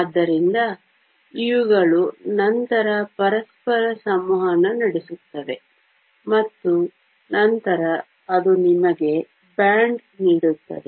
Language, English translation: Kannada, So, these will then interact with each other, and then they will give you a band